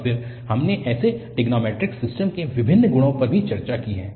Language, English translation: Hindi, And then, we have also discussed various properties of such a trigonometric system